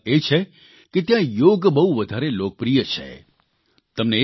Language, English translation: Gujarati, Another significant aspect is that Yoga is extremely popular there